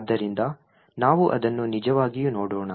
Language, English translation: Kannada, So, let us actually look at it